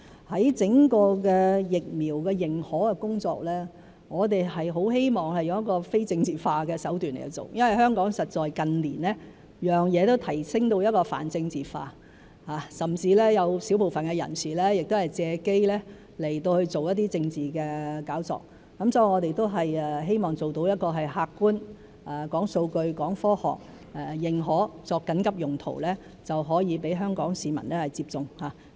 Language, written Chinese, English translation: Cantonese, 在整個疫苗的認可工作方面，我們很希望以非政治化的手段去做，因為香港實在近年每件事都被提升到泛政治化，甚至有小部分人士會藉機做一些政治炒作，所以我們都希望做到客觀、講數據、講科學來認可疫苗作緊急用途，讓香港市民可以接種。, As regards the work on the authorization of vaccines as a whole I very much hope to adopt a non - political approach because in recent years everything in Hong Kong has been politicized and a handful of people have even seized the opportunity to whip up political hype . Therefore we hope that the vaccines can be authorized for emergency use in an objective and scientific manner with supporting data so that Hong Kong citizens can receive the vaccines